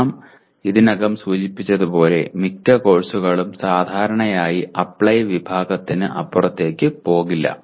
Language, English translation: Malayalam, And as we mentioned already, most of the courses will generally not go beyond the Apply category